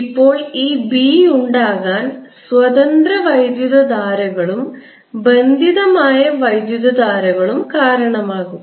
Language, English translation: Malayalam, now, this b, due to both the free current as well as the bound currents